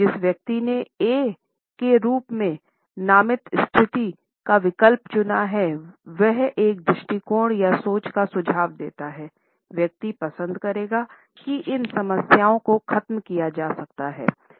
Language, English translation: Hindi, The person who has opted for the position named as A, suggest an attitude or visual thinking, the person would prefer that these problems can be washed away